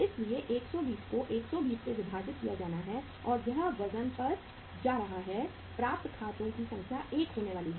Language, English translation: Hindi, So 120 to be divided by 120 and it is going to the weight of the accounts receivable is going to be the 1